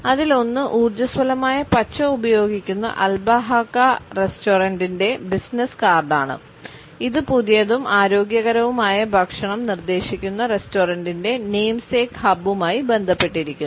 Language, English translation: Malayalam, One is of the business card for Albahaca restaurant which uses vibrant green and it is associated with the restaurants namesake hub suggesting fresh and healthy food